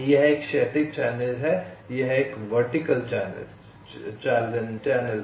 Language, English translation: Hindi, this is a vertical channel, vertical channel